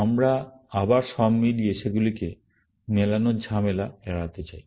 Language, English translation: Bengali, We would like to avoid the trouble of matching them all over, again